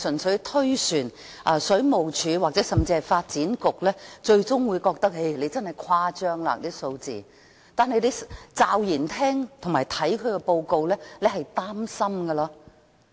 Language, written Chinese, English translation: Cantonese, 水務署，甚至發展局可能會覺得報告所推算的數字誇張，但驟然聽到這報告的內容會令你很擔心。, The Water Supplies Department and even the Development Bureau may find the figures projected in the report being exaggerated . Yet you will be worried when you unexpectedly learn about the contents of this report